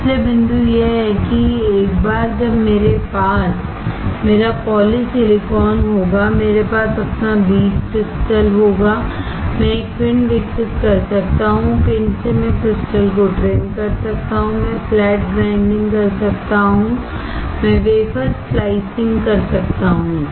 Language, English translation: Hindi, So, point is that once I have my polysilicon, I have my seed crystal, I can grow an ingot, from ingot I can trim the crystal, I can do flat grinding, I can do wafer slicing